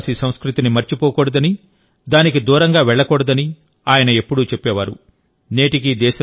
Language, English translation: Telugu, He had always emphasized that we should not forget our tribal culture, we should not go far from it at all